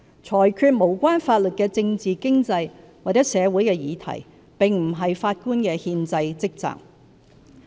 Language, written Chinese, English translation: Cantonese, 裁決無關法律的政治、經濟或社會議題並不是法官的憲制職責。, It is not relevant nor is it any part of their constitutional duty to adjudicate on political economic or social issues as such without reference to the law